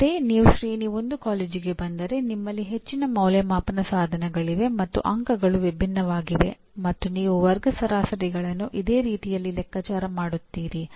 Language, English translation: Kannada, Whereas if you come to Tier 1 college, you have more assessment instruments and the marks are different and you compute the class averages in a similar way